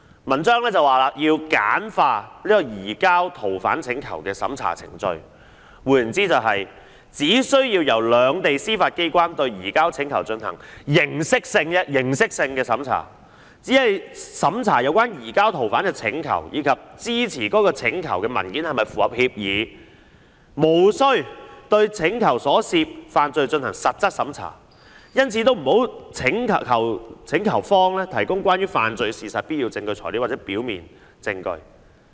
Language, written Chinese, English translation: Cantonese, "文章又指要簡化移交逃犯請求的審查程序，換言之，即是"只需要由兩地司法機關對移交請求進行形式性審查，即只審查有關移交逃犯請求以及支持該請求文件是否符合協議，無需對請求所涉犯罪進行實質審查，因此也不要求請求方提供關於犯罪事實的必要證據材料或表面證據。, In other words The judicial authorities of the two places will only be required to conduct an examination in the form for a surrender request ie . during the examination the authorities will only have to look into the surrender request and check whether supporting documents are provided as required by the agreement without examining in substance the crimes involved in the request . Therefore the requesting party will not be required to provide indispensable or prima facie evidence to show corpus delicti